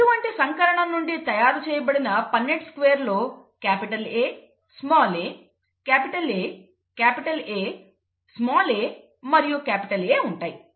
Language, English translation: Telugu, And a Punnett square from this kind of a cross would result in capital A small a, capital A, capital A small a and capital A